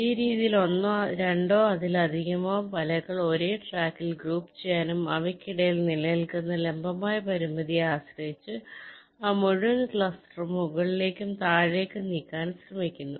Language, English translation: Malayalam, in this way, two or more nets, you try to group them in the same track and move that entire cluster up and down, depending on the vertical constraint that exist between them